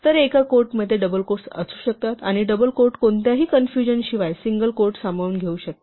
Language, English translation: Marathi, So, a single quote can include double quotes, and the double quote can include single quote without any confusion